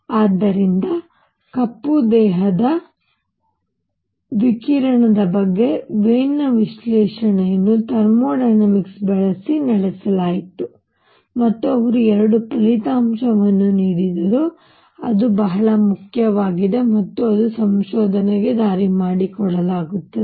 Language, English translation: Kannada, So, Wien’s analysis for the black body radiation was carried out using thermodynamics and he got 2 results which are very very important and that actually open the way for the research